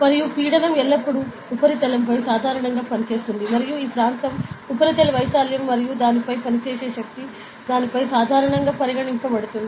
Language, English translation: Telugu, And pressure is always acting normal to the surface and this area is the surface area and the force acting on it is considered as the normal force acting on it, ok